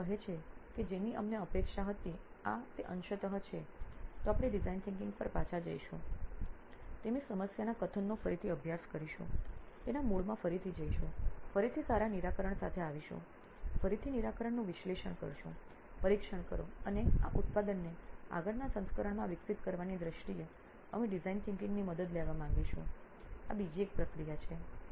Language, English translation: Gujarati, If they say this is partially what we were expecting then we again go back to design thinking, study their problem statement well, go deep into the core again, again come up with a better solution, again analyse the solution, test and this is another process of in terms of evolving this product into a next version we would like design thinking to help us out as well in